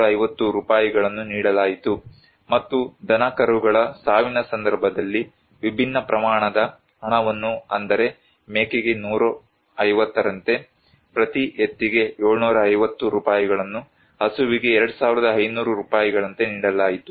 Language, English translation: Kannada, 1250 rupees per family was given as the household kits was to provided and in case of cattle death, different amount of money was given like for goat 150, for bull 750 rupees, for cow 2500 like that